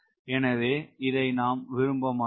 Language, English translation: Tamil, so you do not like that